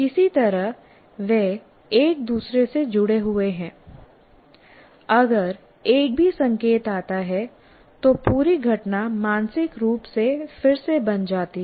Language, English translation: Hindi, Somehow they are connected to each other and if anyone is like one cue comes, then the entire event somehow mentally gets recreated